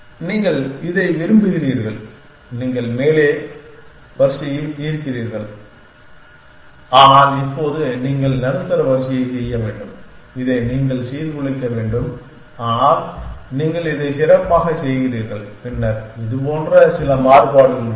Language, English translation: Tamil, You do like this and you have solve the top row, but now you have on do the middle row you have to disrupt this, but you do something better then like this then there a some variation then a